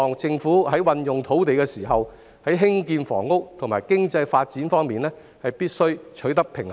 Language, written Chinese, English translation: Cantonese, 政府在運用土地時，必須在建屋與經濟發展兩方面取得平衡。, The Government has to strike a balance between housing construction and economic development in allocating land resources